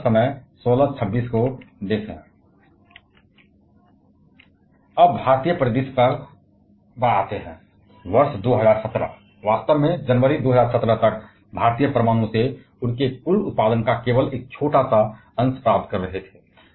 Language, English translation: Hindi, Now, coming to the Indian scenario, by the year 2017, January 2017 in fact, Indian was getting only a small fraction of their total production from nuclear